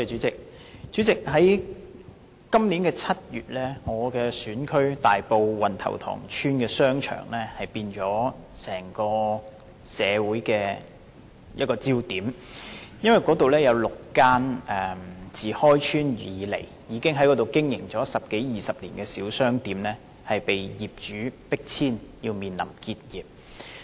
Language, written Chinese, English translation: Cantonese, 主席，今年7月，我的選區大埔運頭塘邨的商場成為整個社會的焦點，因為該處有6間自開邨以來已經營，並已經營十多二十年的小商店被業主迫遷，面臨結業。, President in July this year the shopping centre of Wan Tau Tong Estate Tai Po which is in my constituency became the focus of attention in society because six small shops which had been in operation for over a decade or two since the year of intake were forced to leave by the owner and hence faced closure of business